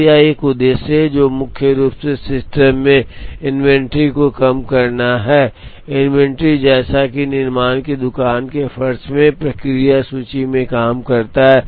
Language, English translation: Hindi, So, this is an objective, which primarily aims at minimizing the inventory in the system, inventory as in work in process inventory in the manufacturing shop floor